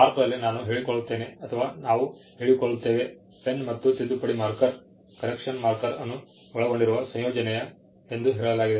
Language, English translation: Kannada, In India, it is I claim or we claim; what is claimed a combination pen with correction marker comprising